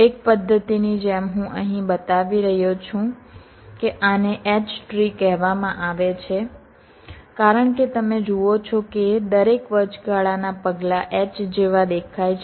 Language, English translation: Gujarati, like one method i am showing here this is called h tree because you see every intermediate steps look like a h, so the clock generated is the middle